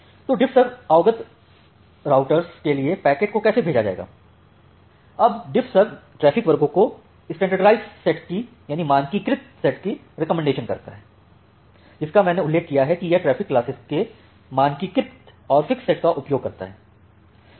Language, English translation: Hindi, So, how the packets will be forwarded for DiffServ aware routers; now DiffServ recommends standardised set of traffic classes that I have mentioned it has standardized and fixed set of traffic classes